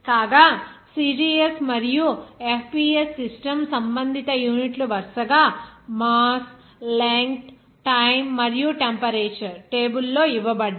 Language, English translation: Telugu, Whereas, CGS and FPS system respective units are given here in the table of mass, length, time and temperature, respectively